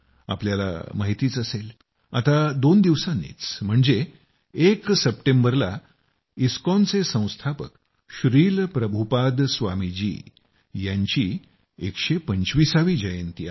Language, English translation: Marathi, You know that just after two days, on the 1st of September, we have the 125th birth anniversary of the founder of ISKCON Shri Prabhupaad Swami ji